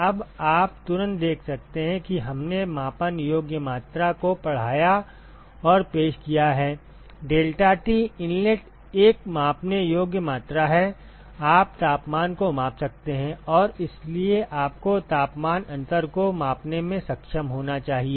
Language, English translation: Hindi, Now, you can immediately see that we have taught and introducing the measurable quantity, deltaT inlet is a measurable quantity, you can measure the temperatures and therefore, you should be able to measure the temperature difference